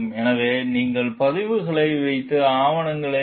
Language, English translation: Tamil, So, you need to keep records and collect papers